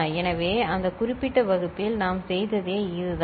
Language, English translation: Tamil, So, this is what we had done in that particular class